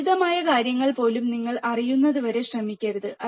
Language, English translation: Malayalam, Even simple things, do not try until you know, right